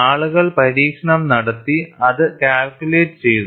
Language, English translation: Malayalam, People have done experimentation and calculated it